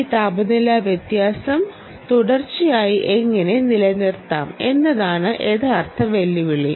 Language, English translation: Malayalam, the real challenge is, dear friends, how do you maintain this temperature differential continuously